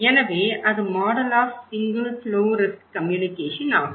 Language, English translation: Tamil, So, a model of single flow risk communications is that